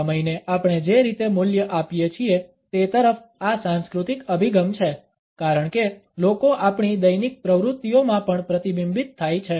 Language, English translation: Gujarati, These cultural orientations towards the way we value time as people are reflected in our day to day activities also